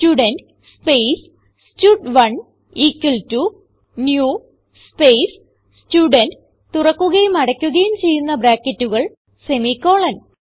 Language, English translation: Malayalam, So, I will type Student space stud2 equal to new space Student opening and closing brackets semi colon